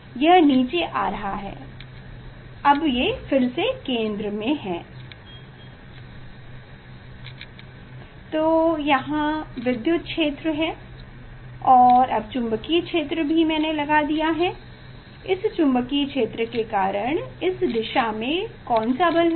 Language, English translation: Hindi, It is come down, it is in centre, So electric field is there, now magnetic field I have applied; this magnetic field due to this magnetic field, so what about the force in acting in this direction